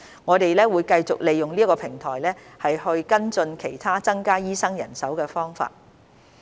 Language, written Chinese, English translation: Cantonese, 我們會繼續利用這個平台跟進其他增加醫生人手的方法。, We will continue to utilize this platform to follow up on other means of increasing the manpower of doctors